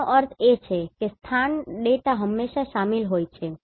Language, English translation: Gujarati, That means the location data is always involved